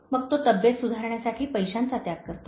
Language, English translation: Marathi, Then he sacrifices money to recuperate his health